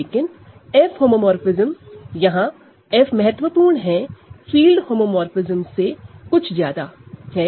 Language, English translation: Hindi, But an F homomorphism, so this F is important here, it is more than a field homomorphism